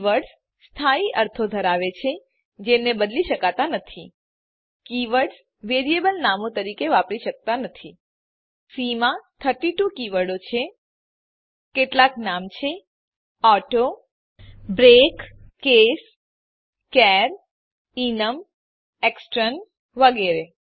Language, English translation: Gujarati, Keywords have fixed meanings that cannot be changed Keywords cannot be used as variable names There are 32 keywords in C To name some, auto, break, case, char, enum, extern, etc